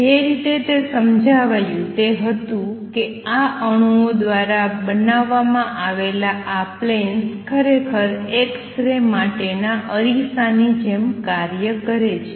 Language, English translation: Gujarati, The way it was explained was that these planes, planes form by these atoms actually act like mirrors for x rays